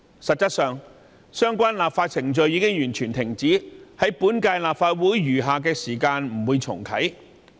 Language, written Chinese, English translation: Cantonese, 實際上，相關修例程序已經完全停止，不會在本屆立法會的餘下任期重啟。, As a matter of fact the amendment procedure has stopped completely and will not be reactivated in the remaining term of the Legislative Council